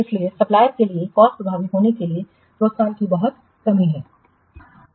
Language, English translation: Hindi, So, there is a very lack of incentives for the suppliers to be cost effective